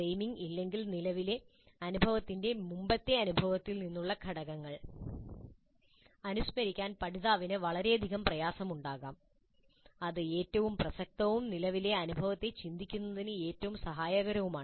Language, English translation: Malayalam, If there is no framing of the current experience, learner may have considerable difficulty in recalling elements from the previous experience that are most relevant and most helpful in reflecting on the current experience